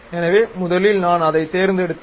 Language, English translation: Tamil, So, first I have selected that